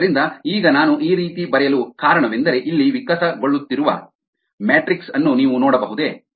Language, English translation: Kannada, so now, the reason for me writing at this way is that can you see a matrix evolving here